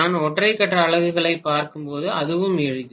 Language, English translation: Tamil, That is also simpler when I am looking at single phase units